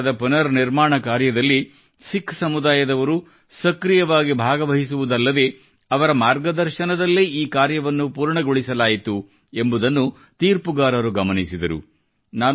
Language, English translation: Kannada, The jury also noted that in the restoration of the Gurudwara not only did the Sikh community participate actively; it was done under their guidance too